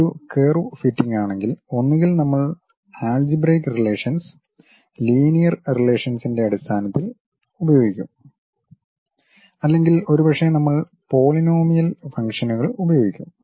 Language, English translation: Malayalam, If it is a curve fitting either we will use the algebraic relations in terms of linear relations or perhaps we will be using polynomial functions